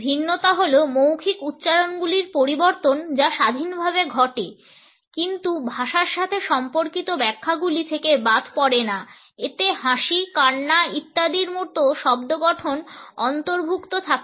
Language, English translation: Bengali, Differentiations are the modifications of verbal utterances which occur independently, but are never devoid of the interpretations associated with language they include sound constructs such as laughter, crying etcetera